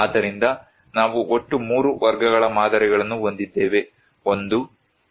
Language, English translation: Kannada, So, we have total 3 categories of models; 1, 2 and 3